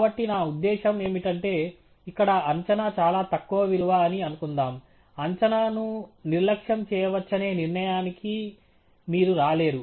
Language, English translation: Telugu, So, for what I mean by that is, suppose the estimate here was a very small value, you cannot come to the conclusion that the estimate can be neglected